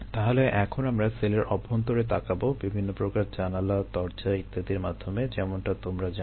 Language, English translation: Bengali, ok, so now lets starts looking inside the cell through various ah you know, windows, doors and so on and so for